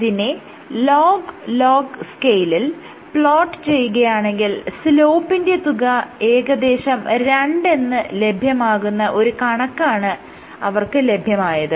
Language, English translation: Malayalam, So, when they plotted in log log scale log log scale, they got this data which approximately had a slope of 2